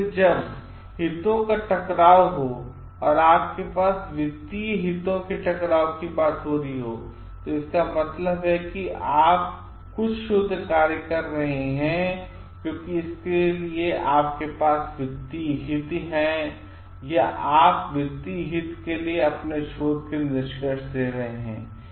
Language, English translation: Hindi, So, conflict of interest when you have, when you talking of financial conflict of interest which means like you are doing some research work because you have financial interest or you are giving out the findings of your research for financial interest